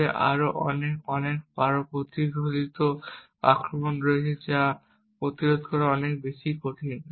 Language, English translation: Bengali, However there have been many more, more sophisticated attacks which are far more difficult to actually prevent